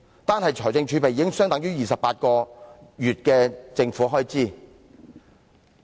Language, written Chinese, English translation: Cantonese, 單是財政儲備，已相等於28個月的政府開支。, The amount of fiscal reserves alone is equivalent to the government expenditure for 28 months